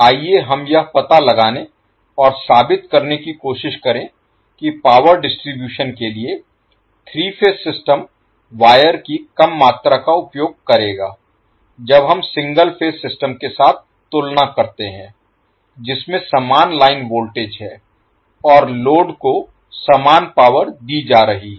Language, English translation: Hindi, Let us try to find out and justify that the three phase system for power distribution will use less amount of wire when we compare with single phase system which is having the same line voltage and the same power being fed to the load